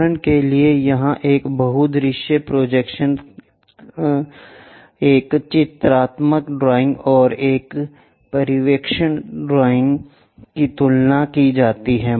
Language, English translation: Hindi, For example, here a multi view projection a pictorial drawing and a perspective drawing are compared